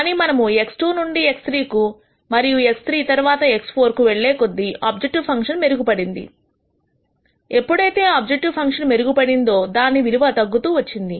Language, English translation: Telugu, But when we go from X 2 to X 3 and X 3 to X 4, the improvement in the objective function, while the objective function is improving, the improvement amount of improvement keeps decreasing